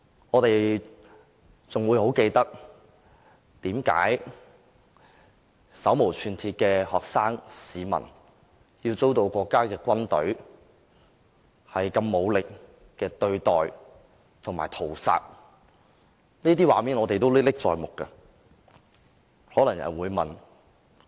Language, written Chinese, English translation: Cantonese, 我們還記得手無寸鐵的學生和市民遭到國家軍隊的武力對待及屠殺，這些畫面仍然歷歷在目。, We can still remember the violent treatment and massacre of those unarmed students and people by the countrys military forces . All such episodes are still vivid before our eyes